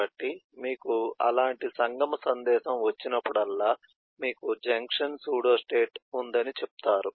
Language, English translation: Telugu, so whenever you have such confluence message you say you have a junction pseudostate